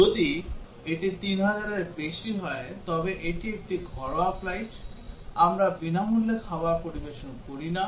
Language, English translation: Bengali, If it is a more than 3000, but it is a domestic flight, we do not serve free meal